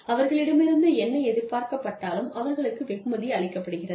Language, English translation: Tamil, Whatever is expected of them, they are being rewarded